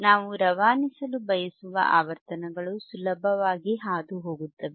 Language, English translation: Kannada, Frequencies that we want to pass will easily pass